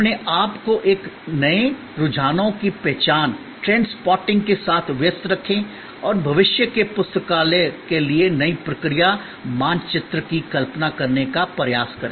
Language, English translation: Hindi, Engage yourself with trends spotting and try to visualize the new process map for the library of the future